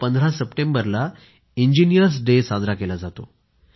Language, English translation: Marathi, In his memory, 15th September is observed as Engineers Day